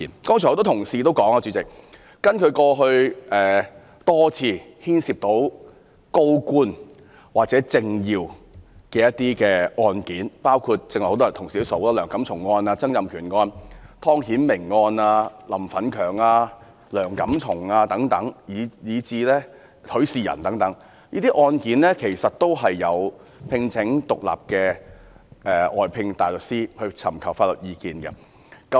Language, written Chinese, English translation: Cantonese, 剛才很多議員指出，根據過去多次牽涉高官或政要的案件，包括同事剛剛提及的梁錦松案、曾蔭權案、湯顯明案、林奮強案，以及許仕仁案等，這些案件其實也有聘請獨立的外間大律師尋求法律意見。, Just now a number of Members have pointed out that according to previous cases involving senior government officials or prominent political figures including the Antony LEUNG case Donald TSANG case Timothy TONG case Franklin LAM case Rafael HUI case and so on as mentioned by Members just now the Department of Justice DoJ had actually sought legal opinions from outside counsels